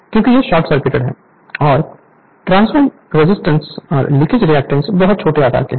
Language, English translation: Hindi, Because it is short circuited, it is short circuited right and transformer resistance and leakage reactance is very very small size right